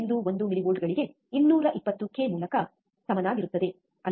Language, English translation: Kannada, 1 millivolts by 220 k, right